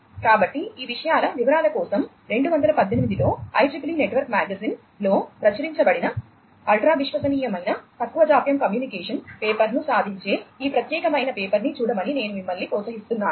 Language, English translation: Telugu, So, for details of these things I would encourage you to go through this particular paper which is the achieving ultra reliable low latency communication paper which has been published in the IEEE network magazine in 2018